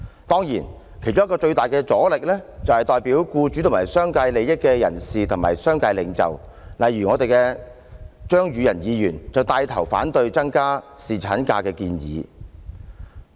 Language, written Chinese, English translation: Cantonese, 當然，其中一個最大阻力，來自代表僱主和商界利益的人士和商界領袖，例如張宇人議員就帶頭反對增加侍產假的建議。, Of course one of the biggest obstacles comes from business leaders who represent interests of employers and the business sector . Mr Tommy CHEUNG for instance takes the lead in opposing the proposal to increase the duration of paternity leave